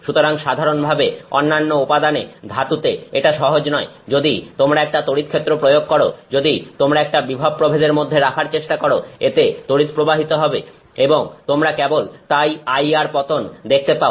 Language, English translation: Bengali, So, normally in other materials, in metals it is difficult if you put a field, if you try to put a potential difference it will start passing current and you will simply see the IR drop